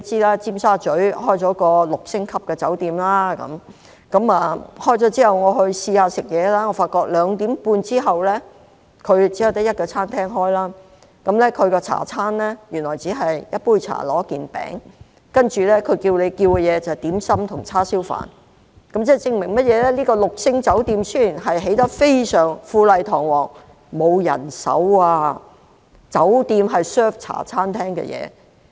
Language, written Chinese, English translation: Cantonese, 我發覺酒店在2時半後，只有一間餐廳營業，其下午茶餐原來只是一杯茶加一件糕點，其他可供選擇的只有點心和叉燒飯，這證明雖然這間六星酒店富麗堂皇，奈何沒有人手，酒店竟然提供茶餐廳的食物。, I found that after 2col30 pm only one restaurant was in operation . The afternoon tea set only served one cup of tea and a pastry and the other choices available were dim sum and rice with barbecued pork . Although the six - star hotel is grand and imposing owing to the lack of manpower it can only serve food of Hong Kong style cafe